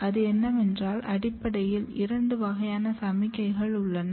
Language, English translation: Tamil, And the model here is that there are basically two types of signals